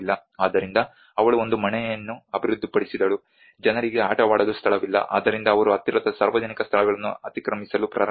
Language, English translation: Kannada, So then she developed a house, there were no place for people to play around so they have started encroaching the public places nearby